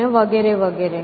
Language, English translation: Gujarati, child and so on